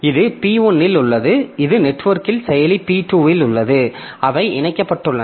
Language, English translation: Tamil, So this is on P2 over the network so they are connected